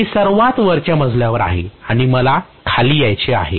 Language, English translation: Marathi, I am at the top floor and I want to come down